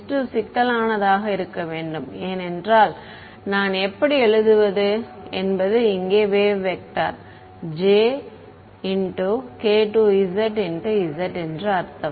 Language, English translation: Tamil, S 2 should be complex right because the how do I write the I mean the wave vector over here j k 2 z z that is what I would have other terms are also there right